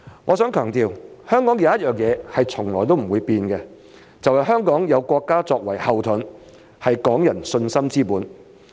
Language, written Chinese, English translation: Cantonese, 我想強調，香港有一點是從來不會變的，就是香港有國家作為後盾，是港人信心之本。, I wish to emphasize that one thing about Hong Kong has never changed and that is the backing from our country which is the foundation for Hong Kong peoples confidence